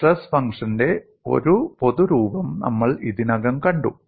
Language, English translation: Malayalam, We have already seen a generic form of stress function